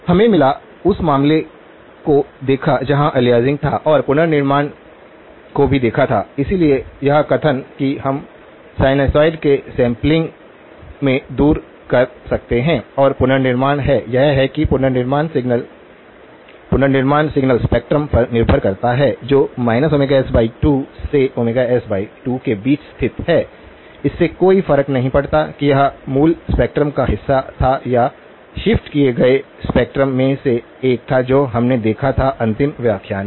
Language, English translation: Hindi, We got; looked at the case where there was aliasing and also looked at the reconstruction, so the statement that we can make as far as the sampling of sinusoids is concerned and the reconstruction, is that the reconstructed signal; the reconstructed signal depends on the spectrum that lies between minus omega s by 2 to omega s by 2, it does not matter whether that was part of the original spectrum or one of the shifted spectrum that is what we saw in the last lecture